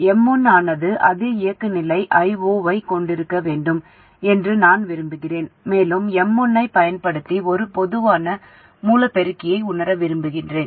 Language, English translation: Tamil, I want M1 to have the same operating point current I0 and I want to realize a common source amplifier using M1